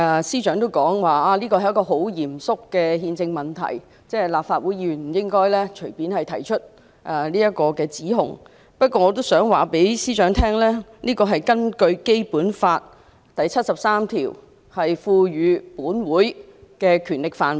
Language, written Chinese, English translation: Cantonese, 司長表示這是一個很嚴肅的憲政問題，立法會議員不應隨便提出這項指控，但我想對司長說，這是屬於《基本法》第七十三條賦予本會的權力範圍。, The Chief Secretary stated that this is a very solemn constitutional issue and therefore Members of the Legislative Council should not make such an allegation casually . Yet I would like to remind the Chief Secretary that this falls within the power conferred on this Council by Article 73 of the Basic Law